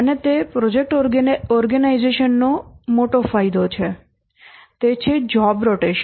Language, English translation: Gujarati, And that's a big advantage of the project organization is the job rotation